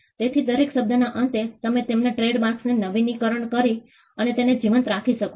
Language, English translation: Gujarati, So, at every end of every term, you can renew their trademark and keep it alive